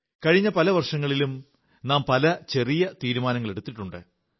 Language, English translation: Malayalam, For the past many years, we would have made varied resolves